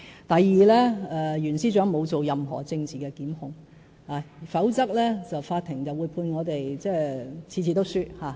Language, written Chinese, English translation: Cantonese, 第二，袁司長沒有作出任何政治檢控，否則法庭會判我們每次也敗訴。, Second the prosecutions initiated by Secretary for Justice Rimsky YUEN are not political in nature otherwise we would have lost all the cases in Court